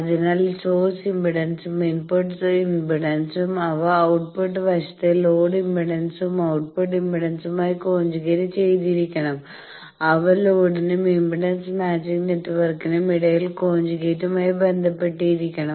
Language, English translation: Malayalam, So, that source impedance and input impedance Z they should be conjugately related also in the output side the load impedance and the output impedance, they should be conjugately related then between load and impedance matching network